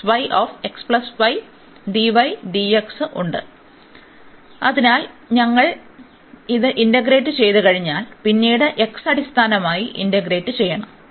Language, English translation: Malayalam, So, once we integrate this one, then we have to integrate then with respect to x